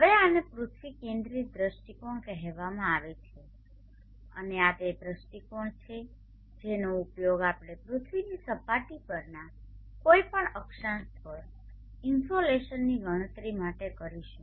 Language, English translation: Gujarati, Now this is called the earth centering view and this is the view that we will be using for calculating the insulation at any given latitude on the earth surface